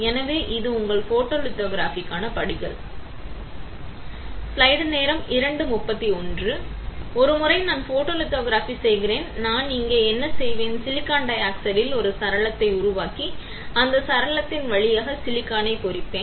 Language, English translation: Tamil, So, once I perform photolithography; what I will do here, is at I will create a window into silicon dioxide and then I will etch the silicon through that window